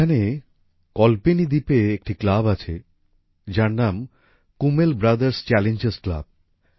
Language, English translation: Bengali, There is a club on Kalpeni Island Kummel Brothers Challengers Club